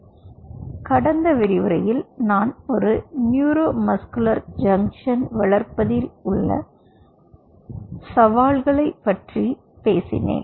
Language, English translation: Tamil, so in the last lecture i talked to you about the challenges of developing a neuromuscular junction